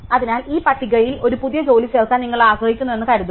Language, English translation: Malayalam, So, now suppose you want to insert a new job in to this list